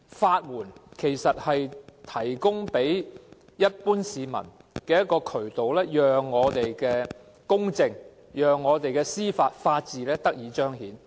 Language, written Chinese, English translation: Cantonese, 法援其實是提供予一般市民的渠道，讓司法公正和法治得以彰顯。, Legal aid is in fact a channel provided for the general public to manifest judicial justice and rule of law